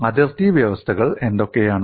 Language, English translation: Malayalam, And what are the boundary conditions